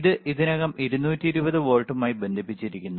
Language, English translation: Malayalam, So, can we it is already connected to 220 volts